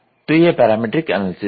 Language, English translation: Hindi, So, that is what is parametric analysis